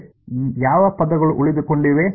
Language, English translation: Kannada, which of these terms will survive